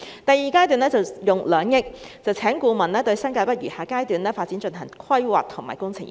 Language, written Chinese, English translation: Cantonese, 第二階段會用2億元聘請顧問，對新界北餘下階段發展進行規劃及工程研究。, During the second phase 200 million will be used for engaging consultants to undertake planning and engineering study for the Remaining Phase Development of New Territories North